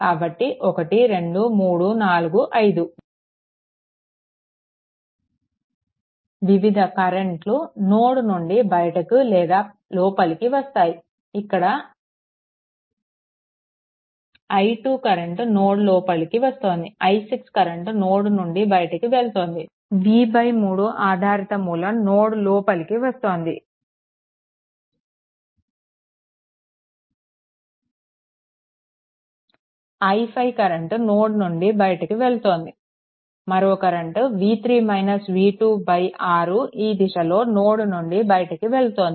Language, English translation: Telugu, So, 1 2 3 4 5 5 different currents will either leave or will this thing this i 2 current is entering into the node, then i 6 current leaving this node, v by 3 dependent source are entering into the node, i 5 current leaving this node, another current that is if you take v 3 minus v 2 by 6 also in this direction leaving the node right so; that means, that means just for your understanding